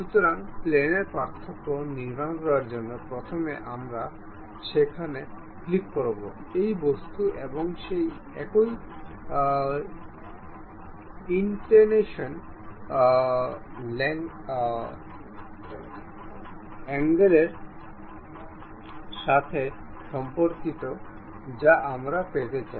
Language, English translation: Bengali, So, to construct the difference plane, first we will go there click; this is the object and with respect to that some inclination angle we would like to have